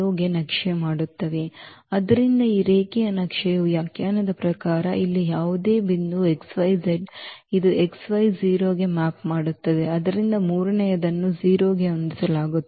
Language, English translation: Kannada, So, here as per the definition of this linear map, any point here x y z it maps to x y and 0